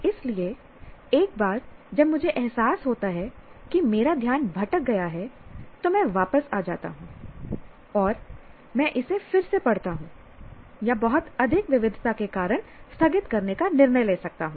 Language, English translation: Hindi, So, once I realize my attention has drifted, I come back and either I reread it or postpone because if there are too many diversions, I may take a decision